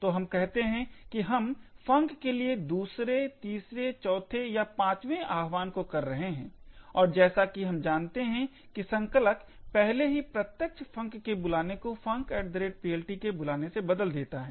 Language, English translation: Hindi, So, let us say we are making the 2nd, 3rd, 4th or 5th invocation to func and as we know the compiler has already replace the direct call to func to a call to func at PLT